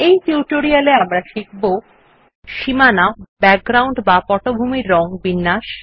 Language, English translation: Bengali, In this tutorial we will learn about:Formatting Borders, background colors